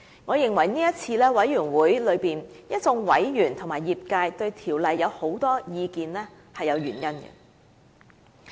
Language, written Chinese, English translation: Cantonese, 我認為這次在委員會內一眾委員和業界對《條例》有很多意見是有原因的。, I believe there are reasons for the diverse views on CMO expressed by Members in the Bills Committee and the industry this time around